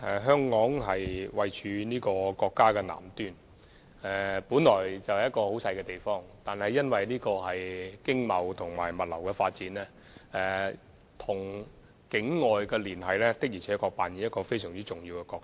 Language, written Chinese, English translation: Cantonese, 香港位處國家南端，雖然是一個很細小的地方，但因為經貿及物流發展，與境外的連繫確實擔當非常重要的角色。, Situated in the southern tip of the country Hong Kong is small in area but plays a very important role in connecting with the world due to its economic and logistics development